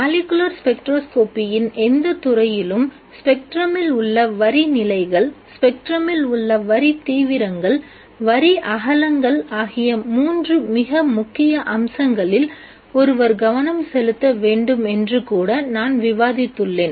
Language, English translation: Tamil, I also discussed the three most important aspects that one should pay attention to in any branch of molecular spectroscopy, namely the line positions in a spectrum, the line intensities in the spectrum and also the line widths